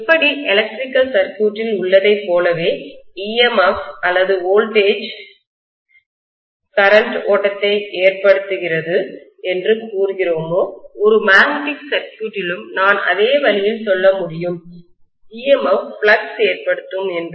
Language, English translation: Tamil, Just like in an electrical circuit, how we say that EMF or voltage causes current flow” I can say the same way in a magnetic circuit, I am going to have MMF causing the flux